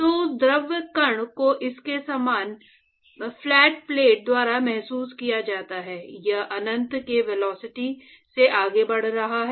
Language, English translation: Hindi, So, that fluid particle before it it is felt by the flat plate it is moving at a velocity of uinfinity